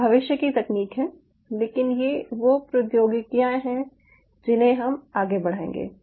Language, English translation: Hindi, these are futuristic technologies, but these are the technologies which we will drive the future